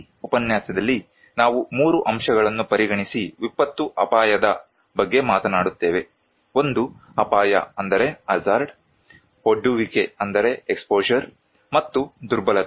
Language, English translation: Kannada, In this lecture, we will talk about disaster risk considering 3 components; one is hazard, exposure, and vulnerability